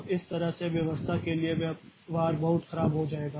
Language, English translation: Hindi, So, this way the behavior will become very poor for the system